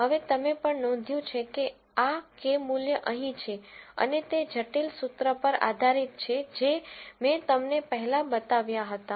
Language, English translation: Gujarati, Now, also you notice that, this Kappa value is here and based on the complicated formula that I showed you before